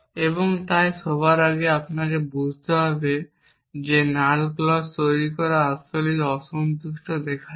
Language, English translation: Bengali, And so first of all you have to convince that deriving the null clause is indeed showing the unsatisfiable